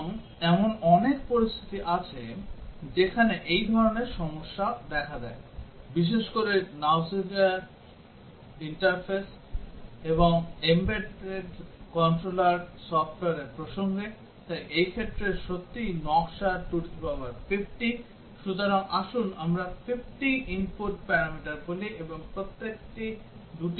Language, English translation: Bengali, And there are several situations where such problems arise, specially the context of user interfaces and embedded controller software, so in these cases really designing 2 to the power 50, so for let us say 50 input parameters and each one takes two values